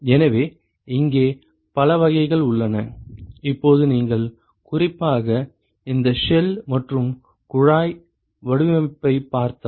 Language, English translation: Tamil, So, there are several types here so, now if you look at this specifically this shell and tube design